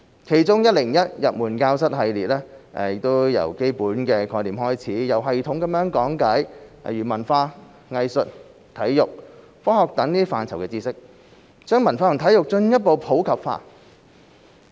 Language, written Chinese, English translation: Cantonese, 其中的 "101 入門教室系列"，由基本概念開始，有系統地講解文化、藝術、體育、科學等範疇的知識，把文化和體育進一步普及化。, A 101 Academy series launched on the Channel provide a systematic introduction starting from basic concepts to culture arts sports and science with an objective to further promote culture and sports in the community